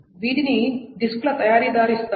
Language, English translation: Telugu, These are given by the manufacturers of the disk